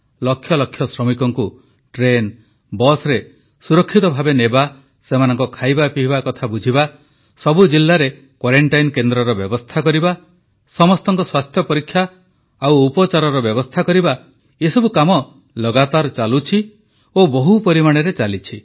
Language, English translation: Odia, Safely transporting lakhs of labourers in trains and busses, caring for their food, arranging for their quarantine in every district, testing, check up and treatment is an ongoing process on a very large scale